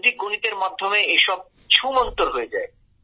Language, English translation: Bengali, So all this gets dissipates with Vedic maths